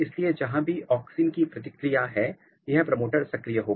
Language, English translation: Hindi, So, wherever auxin response is there this promoter will light up